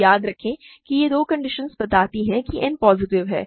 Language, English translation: Hindi, So, remember, these two conditions already imply that n is positive